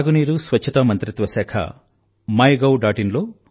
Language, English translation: Telugu, The Ministry of Drinking Water and Sanitation has created a section on MyGov